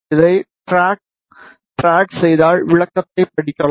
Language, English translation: Tamil, If you drag this you can read the description